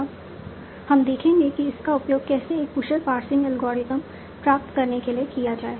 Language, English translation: Hindi, Now we will see how to use that for obtaining an efficient passing algorithm